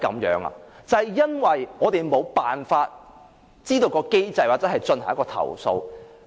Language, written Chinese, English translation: Cantonese, 因為我們無法知道相關機制或進行投訴。, It was because we could never lodge a complaint nor could we have the access to do so